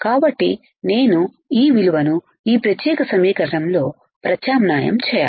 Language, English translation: Telugu, So, I have to substitute this value in this particular equation